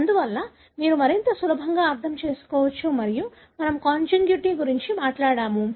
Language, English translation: Telugu, Therefore you can more easily understand and we talk about consanguinity